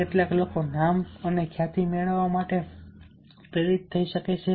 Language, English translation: Gujarati, some people might get motivated to get the name and fame